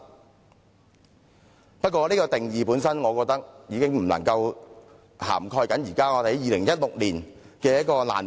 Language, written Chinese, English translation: Cantonese, 不過，我認為這個定義本身已不足以涵蓋2016年的難民問題。, Nevertheless I do not think the definition is in itself adequate to cover all refugee problems we can identify in 2016